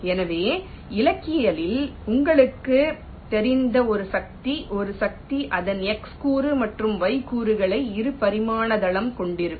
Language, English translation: Tamil, so a force, you know, even if you are a mechanic a force will be having its x component and y component in a two dimension plane